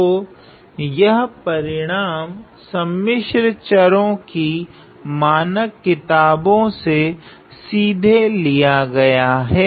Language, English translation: Hindi, So, this result is directly taken from a standard complex variables textbook